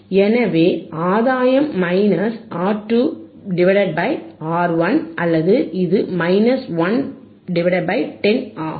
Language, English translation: Tamil, So, gain is minus R 2 by R 1 or it is minus 1 by 10